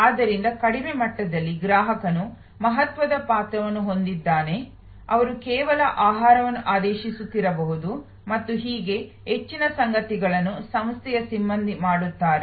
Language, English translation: Kannada, So, at the lowest level the customer has very in significant role, may be they just ordering the food and so on, most of the stuff are done by the staff of the organization